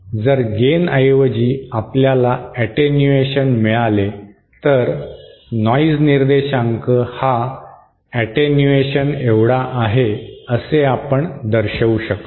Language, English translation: Marathi, If instead of gain, we get attenuation then we can show that the noise figure will be equal to the attenuation